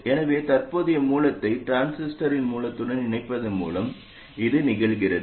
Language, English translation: Tamil, So this happens just by virtue of connecting the current source to the source of the transistor